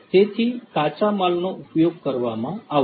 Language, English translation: Gujarati, So, raw materials are going to be used